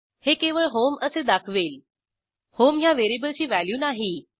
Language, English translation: Marathi, This will display only the HOME not the value of HOME variable